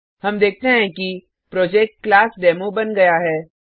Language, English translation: Hindi, We see that the Project ClassDemo is created